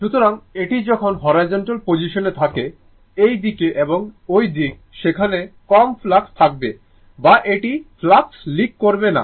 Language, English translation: Bengali, So, when it is a horizontal position, this side and this side, there will be low flux or it will not leak the flux